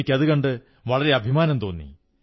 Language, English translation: Malayalam, It made me feel very proud